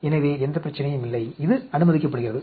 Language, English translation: Tamil, So, no problem; this is allowed